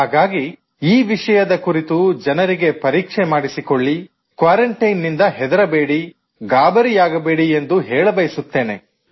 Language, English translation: Kannada, On that I would like to ask maximum people to get the test done and not be afraid of quarantine